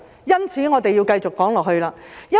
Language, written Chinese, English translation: Cantonese, 因此，我要繼續說下去。, Therefore I have to continue